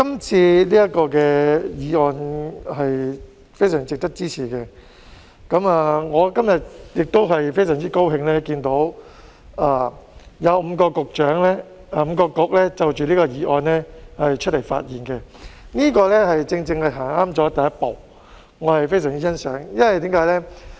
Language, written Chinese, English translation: Cantonese, 這項議案非常值得支持，我今天亦非常高興看到有5個政策局的局長就着這項議案發言，正正踏出正確的第一步，我十分欣賞，為甚麼呢？, This motion is very worthy of support . I am very glad today to see that five Directors of Bureaux have spoken on this motion . They have made exactly the right first step which I appreciate very much